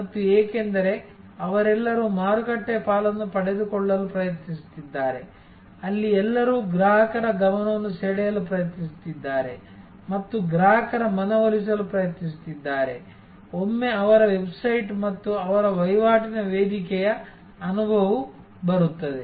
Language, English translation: Kannada, And this because, their all trying to grab market share, there all trying to grab attention of the consumer and trying to persuade the consumer at least comes once an experience their website and their transactional platform